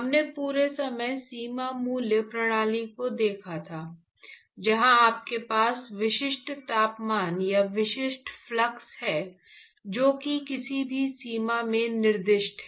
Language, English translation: Hindi, So, all along the we had looked at boundary value systems, where you have specific temperatures or specific fluxes etcetera which is specified in either of the boundaries